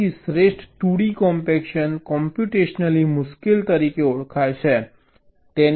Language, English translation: Gujarati, so the best two d compaction is known to be computationally difficult